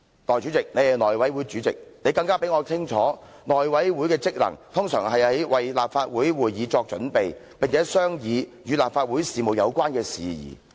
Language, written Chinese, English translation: Cantonese, 代理主席，你是內務委員會主席，你比我更清楚內務委員會的職能，通常是為立法會會議作準備，並且商議與立法會事務有關的事宜。, Deputy President you are the Chairman of the House Committee . You know better than I that a general function and duty of the House Committee is to make preparations for Council meetings and discuss matters relating to Council business